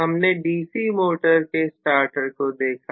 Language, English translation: Hindi, We had looked at the starter for a DC motor